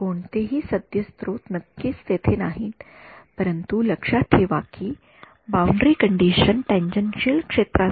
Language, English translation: Marathi, No not no current sources are of course not there, but remember the boundary conditions are for tangential fields